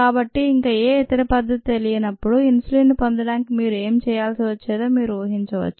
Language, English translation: Telugu, so you can imagine what needed to be done to get insulin when no other method was known